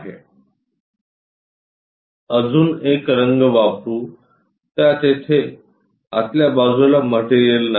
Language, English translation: Marathi, Let us use other color inside of that material is not present